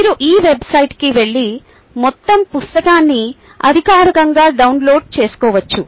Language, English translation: Telugu, you can go to this website and download the entire book officially